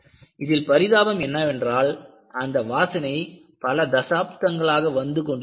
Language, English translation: Tamil, The pity was, the smell was coming for decades